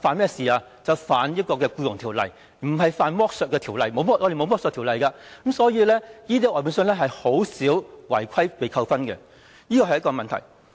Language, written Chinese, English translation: Cantonese, 便是觸犯《僱傭條例》，不是犯剝削條例，我們沒有剝削條例，所以這些外判商很少因為違規而被扣分，這是一個問題。, When the employer contravenes EO not an anti - exploitation legislation . We do not have any legislation against exploitation so contractors rarely incur demerit points due to violation . This is a problem